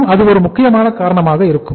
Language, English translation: Tamil, Again that could be the one important reason